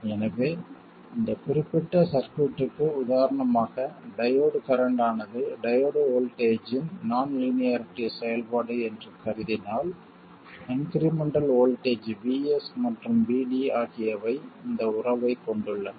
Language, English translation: Tamil, So, for instance for this particular circuit, assuming that the diode current is a non linearity F of the diode voltage, then the incremental voltages Vs and VD have this relationship